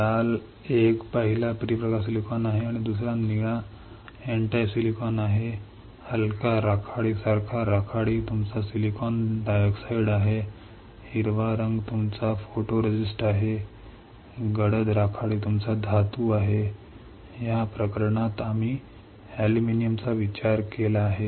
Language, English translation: Marathi, The red one the first one is P type silicon and the second one blue one is N type silicon, the grey one like light grey is your silicon dioxide, green one is your photoresist, dark grey one is your metal, in this case we have considered aluminium